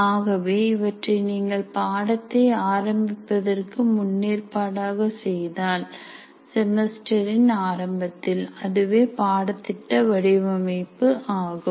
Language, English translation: Tamil, So all this, if you do in advance before the starting the course in the beginning of the semester, that doing all this is course design